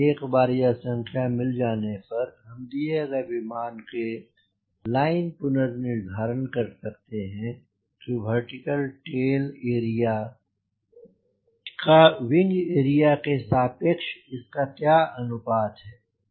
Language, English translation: Hindi, once i get this number by this then we cross check for a given aeroplane, what is the vertical tail area ratio with respect to to the wing area, that is, what is the ratio of vertical tail to wing area